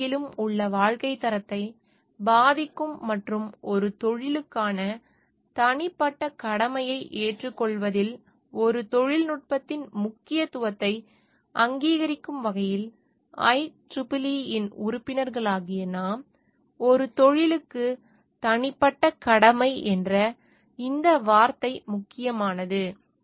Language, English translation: Tamil, We the members of IEEE in recognition of the importance of a technologies in affecting the quality of life throughout the world and in accepting a personal obligation towards a profession